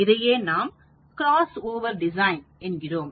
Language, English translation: Tamil, This is called a cross over design